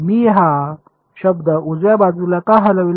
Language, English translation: Marathi, Why did I move this term to the right hand side